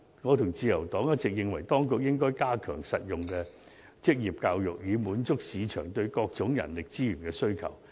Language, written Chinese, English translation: Cantonese, 我和自由黨一直認為當局應加強實用的職業教育，以滿足市場對各種人力資源的需求。, Along with the Liberal Party I always believe that the authorities should strengthen vocational education to cater for various human resources needs in the market